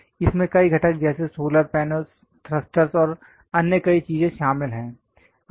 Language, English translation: Hindi, It contains many components like solar panels, thrusters and many other things